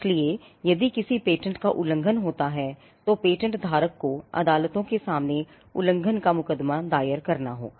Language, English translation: Hindi, So, if there is an infringement of a patent, the patent holder will have to file an infringement suit before the courts